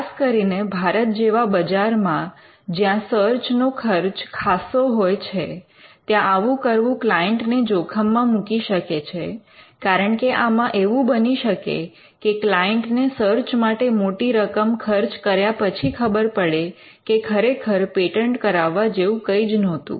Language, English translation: Gujarati, And especially, in a market like India, where the cost of search can be substantial, it would put the client in a precarious position, because a client would end up expending a huge amount of money for the search and then later on could eventually realize that there was nothing to patent at all